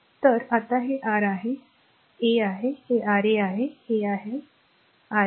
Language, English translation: Marathi, So, now this is your this is R 1 this is your R 1, this is R 2 and this is R 3 right